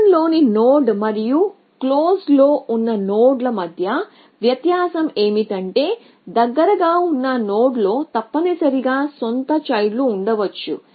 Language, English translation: Telugu, The difference between the node on open and a node on close is that a node on close may have children of its own essentially